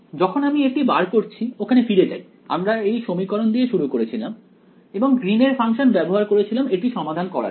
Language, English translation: Bengali, When we derived this let us go back over here we started with this equation and use the Green's function to solve it